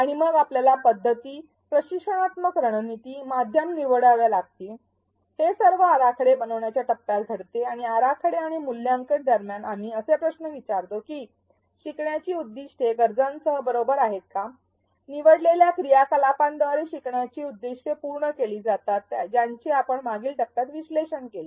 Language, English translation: Marathi, And then we have to choose methods, instructional strategies, media all this happens in the design phase and between the design and evaluate arrows, we ask questions like where the learning objectives appropriate with the needs that we analyzed in the previous phase, are the learning objectives being met by the chosen activities